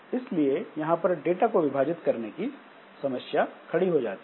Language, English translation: Hindi, So, it is not very easy to split the data